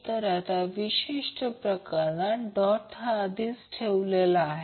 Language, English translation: Marathi, So now in this particular case the dots are already placed